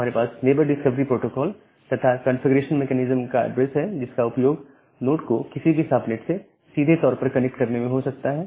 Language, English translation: Hindi, We have the neighbor discovery protocol and the address of a configuration mechanism that can be used to directly connect a node to any subnet